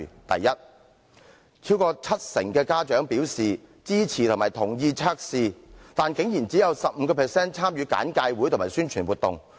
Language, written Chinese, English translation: Cantonese, 第一，超過七成家長表示支持及同意驗毒計劃，但只有 15% 的學生參與簡介會及宣傳活動。, First over 70 % of the parents indicated that they supported and consented to the drug testing scheme but only 15 % of the students had participated in the briefing sessions and promotional activities